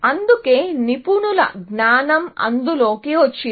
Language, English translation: Telugu, That is why, expert knowledge came into that